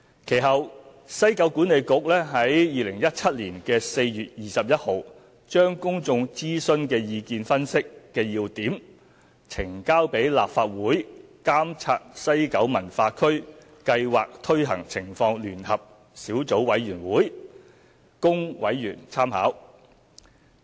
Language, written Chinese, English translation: Cantonese, 其後，西九管理局於2017年4月21日將公眾諮詢的意見分析要點呈交立法會監察西九文化區計劃推行情況聯合小組委員會供委員參考。, Subsequently on 21 April 2017 WKCDA submitted the key findings of the public consultation exercise to the Joint Subcommittee to Monitor the Implementation of the West Kowloon Cultural District Project for members reference